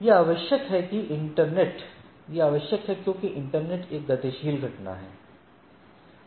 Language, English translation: Hindi, The, what we see that the internet is a dynamic phenomenon